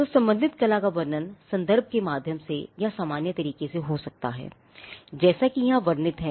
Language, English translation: Hindi, So, description of the related art could be through reference or it could also be through a general way as it is described here